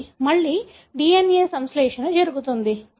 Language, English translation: Telugu, Again the DNA synthesis happens